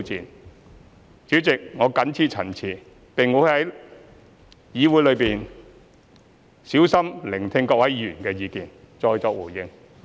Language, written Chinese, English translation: Cantonese, 代理主席，我謹此陳辭，並會在議會內小心聆聽各位議員的意見後，再作回應。, Deputy President I so submit . I will listen carefully to Members views in this Council and give my responses afterwards